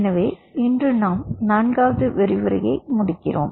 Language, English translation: Tamil, so today we end of the fourth lecture